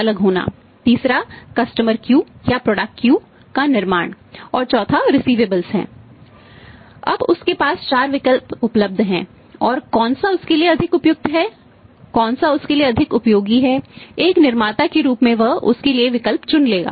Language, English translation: Hindi, Now he has a four options right he has four options available and which one is more suitable to him, which one is more useful to him, as a manufacturing she would go for that right